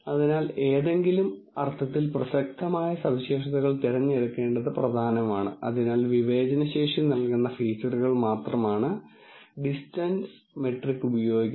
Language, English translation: Malayalam, So, it is important to pick features which are which are of relevance in some sense, so the distance metric actually uses only features which will give it the discriminating capacity